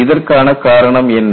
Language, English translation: Tamil, What is the reason for that